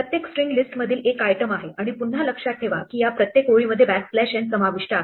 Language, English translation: Marathi, Each string is one item in the list and remember again each of these lines has the backslash n included